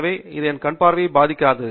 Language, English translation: Tamil, So, it doesnÕt affect my eye sight